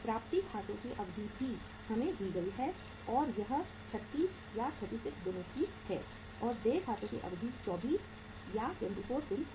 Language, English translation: Hindi, Duration of the uh say accounts receivables is also given to us and that is 36 days and duration of accounts payable is 24 days